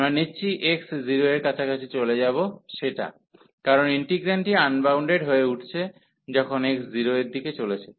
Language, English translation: Bengali, So, we will take x approaching to 0, because the integrand is getting unbounded, when x approaching to 0